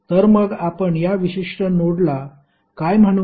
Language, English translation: Marathi, So, what we will call this particular node